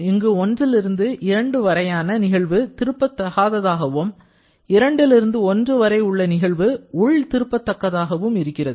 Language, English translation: Tamil, So, process 1 to 2 is irreversible, in fact that can be reversible as well but process 2 to 1 is internally reversible